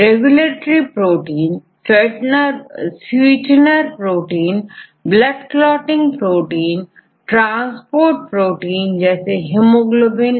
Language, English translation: Hindi, Regulatory proteins and the sweetener, blood clotting proteins, thrombin, and transporters hemoglobin